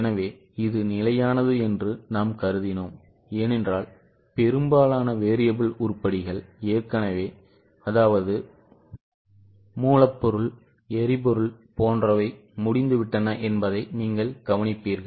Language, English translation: Tamil, So, we have assumed it to be constant because you will observe that most of the variable items are already over like raw material power